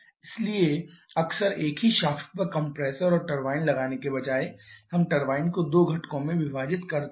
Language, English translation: Hindi, Therefore quite often instead of mounting the compressor and turbine on the same shaft we divide the turbine need 2 components